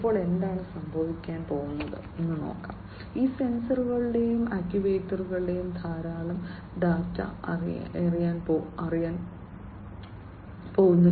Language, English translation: Malayalam, Now, what is going to happen, these sensors and actuators are going to throw in lot of data